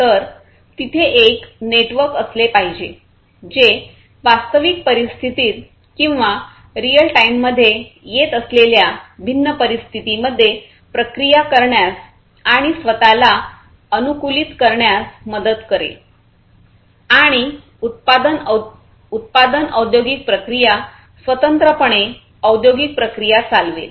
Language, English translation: Marathi, So, this network will help in the process and self adapting to the different conditions, which are coming in real time or non real time, and automate autonomously running the different industrial processes the production processes